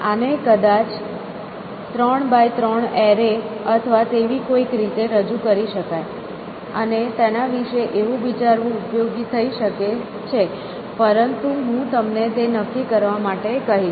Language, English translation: Gujarati, So, these of course can possibly be represented as the 3 by 3 array or something in that, and it might be useful to think about it like that, but I will leave it for you to decide